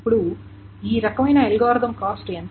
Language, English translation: Telugu, So what is the cost of this algorithm